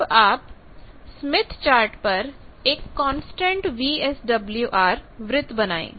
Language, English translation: Hindi, Basically, we are drawing a constant VSWR circle